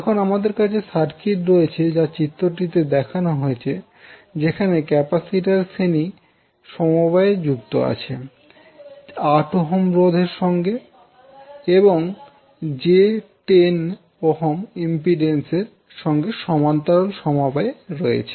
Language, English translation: Bengali, Now you have the circuit as shown in the figure in which the capacitor is connected in parallel with the series combination of 8 ohm, and 8 ohm resistance, and j 10 ohm impedance